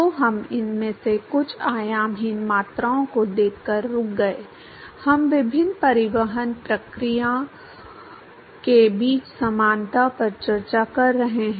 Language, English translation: Hindi, So, we stopped by observing some of these dimensionless quantities; we have been discussing the analogy between different transport processes